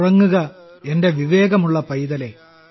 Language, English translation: Malayalam, Sleep, my smart darling,